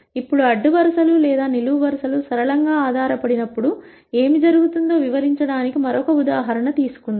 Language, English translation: Telugu, Now, let us take another example to illustrate what happens when the rows or columns become linearly dependent